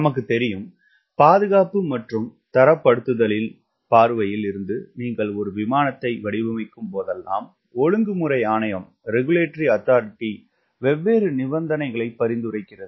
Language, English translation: Tamil, we also know whenever you designing an aircraft from safety and standardization point of view, regulatory authority prescribes different conditions